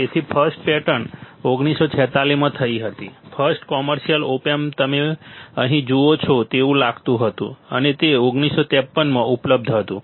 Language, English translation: Gujarati, So, the first patent was in 1946; the first commercial op amp, it looked like this you see here and it was available in 1953, 1953